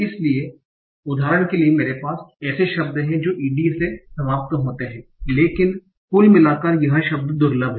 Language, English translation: Hindi, So, for example, I have a word that ends in ED, but overall the word is rare